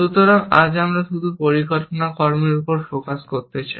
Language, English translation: Bengali, So, we just want to focus on the planning actions today